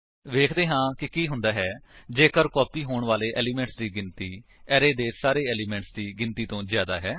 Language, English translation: Punjabi, Let us see what happens if the no.of elements to be copied is greater than the total no.of elements in the array